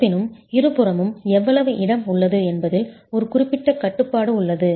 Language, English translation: Tamil, However, there is a certain constraint on how much of space is available on the two sides